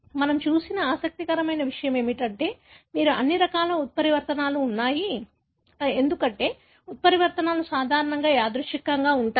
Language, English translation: Telugu, What is interesting that we have looked at is that you have all sorts of mutations, because the mutations normally are random